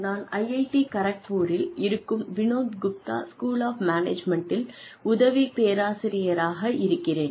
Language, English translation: Tamil, I am an assistant professor, in Vinod Gupta school of management, at IIT Kharagpur